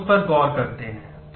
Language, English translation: Hindi, So, let us look into that